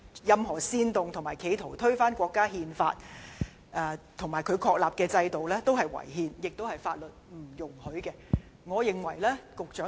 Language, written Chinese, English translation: Cantonese, 任何煽動及企圖推翻國家《憲法》及其確立制度的行為也屬違憲和違法。, Any act to incite or attempt to overthrow the Countrys Constitution and the systems founded upon the Constitution is both unconstitutional and unlawful